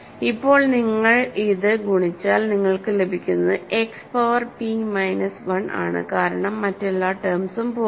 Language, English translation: Malayalam, And now if you multiply this out what you get is simply X power p minus 1 because all the other terms will cancel out, right